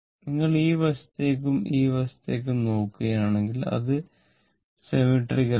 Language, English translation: Malayalam, If you look into this side and this side, it is symmetrical, this side is symmetrical